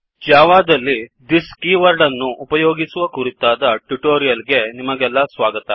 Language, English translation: Kannada, Welcome to the Spoken Tutorial on using this keyword in java